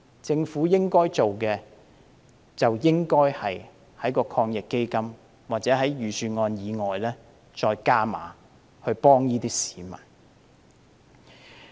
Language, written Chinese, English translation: Cantonese, 政府應該做的是在抗疫基金下或在預算案之外再加碼，幫助這些市民。, The Government should further increase the subsidies under AEF or provide further subsidies in addition to those announced in the Budget in order to help these people